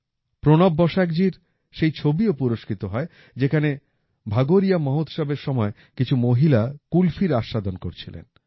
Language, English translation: Bengali, A picture by PranabBasaakji, in which women are enjoying Qulfi during the Bhagoriya festival, was also awarded